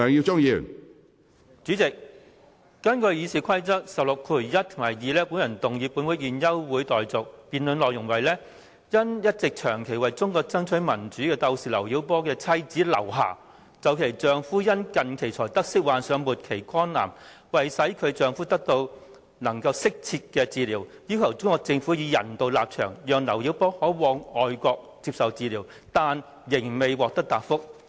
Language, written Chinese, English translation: Cantonese, 主席，根據《議事規則》第161及2條，我動議本會現即休會待續的議案，議案措辭為："因一直長期為中國爭取民主的鬥士劉曉波的妻子劉霞就其丈夫近期才得悉患上末期肝癌，為使其丈夫能得到適切治療，要求中國政府以人道立場，讓劉曉波可往外國接受治療，但仍未獲得答覆。, President in accordance with Rules 161 and 2 of the Rules of Procedure I wish to move a motion that this Council do now adjourn and the wording of the motion is LIU Xia the wife of Chinese veteran democracy fighter LIU Xiaobo has not received any reply regarding her request to the Chinese Government for allowing LIU Xiaobo to go abroad for medical treatment on humanitarian grounds so that her husband can receive appropriate medical treatment of his terminal liver cancer which was disclosed only recently